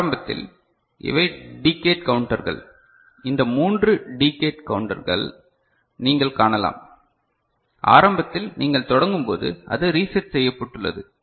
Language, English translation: Tamil, So, initially these are the decade counters, these three 3 are decade counters, that you can see right; so, initially when you start, it is it reset ok